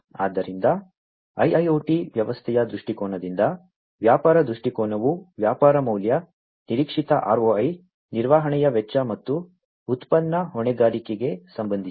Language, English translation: Kannada, So, the business viewpoint from the perspective of an IIoT system is related to the business value, expected ROI, cost of maintenance, and product liability